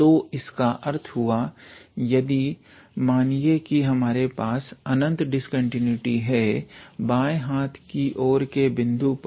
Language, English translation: Hindi, So that means, if we have an infinite discontinuity let us say at the left endpoint